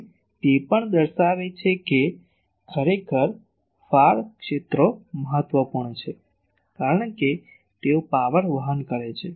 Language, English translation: Gujarati, So, it also shows that actually far fields are important, because they are carrying power